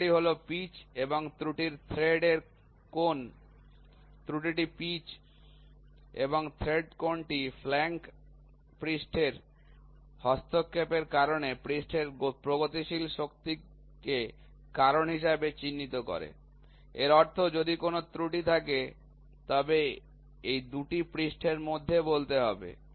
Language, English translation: Bengali, The error is pitch and the thread angle error in the error is pitch and the thread angle also cause the progressive tightening of the mating surface, due to the interference of the flank surface so; that means, to say between these 2 surfaces if there is an error